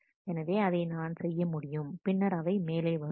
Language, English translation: Tamil, So, I can do this and then these will also come up